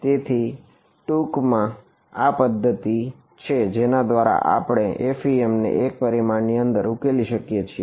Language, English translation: Gujarati, So, this in a nutshell is the method by which we solve this FEM in one dimension ok